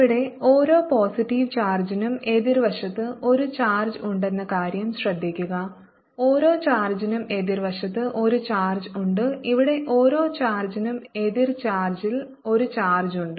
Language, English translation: Malayalam, notice that for each positive charge here there is a charge on the opposite side